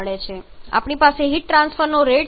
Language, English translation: Gujarati, So we have the rate of heat